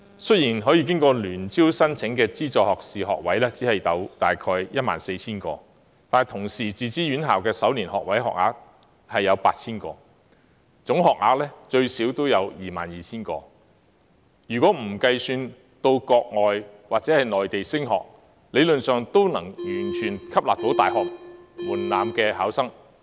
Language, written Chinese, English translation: Cantonese, 雖然可以經過聯合招生申請的資助學士學位只有大約 14,000 個，但自資院校的首年學位學額有 8,000 個，總學額最少有 22,000 個，不計到國外或內地升學的學生，這學額理論上都能完全吸納符合大學入學門檻的考生。, Although there were only about 14 000 places in subsidized undergraduate programmes available for application through the Joint University Programmes Admissions System there were also 8 000 first - year undergraduate places available in self - financing tertiary institutions totalling to at least 22 000 places . With the exclusion of students who chose to further their studies abroad or in the Mainland these places were sufficient to absorb all candidates who met the minimum entry requirements of universities in theory